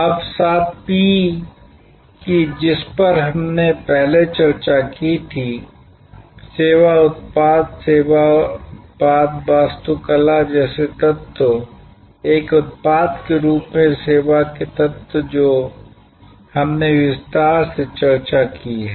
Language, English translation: Hindi, Now, of the seven P’s that we had discussed before, elements like the service product, the service product architecture, the constituting elements of service as a product we have discussed in detail